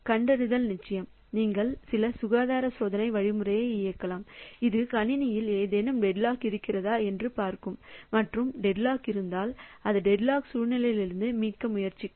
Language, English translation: Tamil, So, you can run some health checking algorithm that we'll see whether there is any deadlock in the system and if the deadlock is there it will try to recover from the deadlock situation